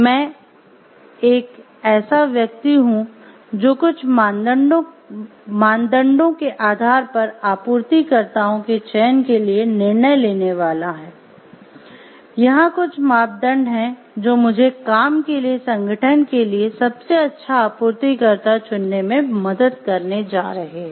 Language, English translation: Hindi, I am a person who is going to decide for the selection of the suppliers based on certain criteria, certain parameters which are going to help me the choose the best supplier for the organization for the task at hand